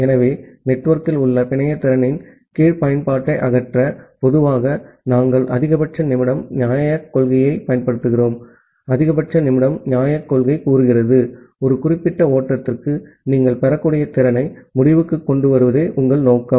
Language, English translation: Tamil, So, to remove the under utilization of the network capacity that in network; generally, we use the max min fairness principle and the max min fairness principle says that well, your objective would be to maximize the end to end capacity that you can get for a particular flow